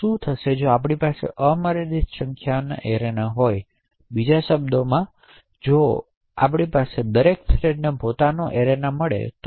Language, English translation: Gujarati, What would happen if we have unlimited number of arenas that is in other words what would happen if each thread that you create gets its own arena